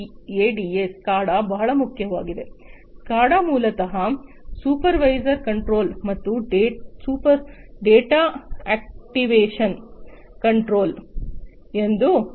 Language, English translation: Kannada, SCADA basically stands for Supervisory Control and Data Acquisition